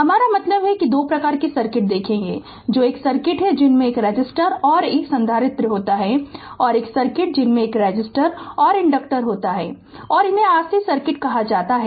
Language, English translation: Hindi, I mean we will see the 2 types of circuits that is a circuit comprising a resistor and capacitor and we will see a circuit comprising a resistor and inductor and these are called R C circuit and R L circuit with respectively right